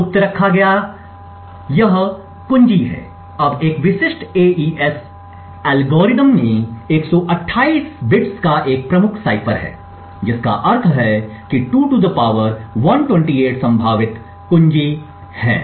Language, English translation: Hindi, What is kept secret is this key, now a typical AES algorithm has a key cipher of 128 bits which means that there are 2 ^ 128 possible key ideas